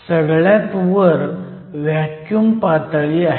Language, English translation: Marathi, The top of the metal is your vacuum level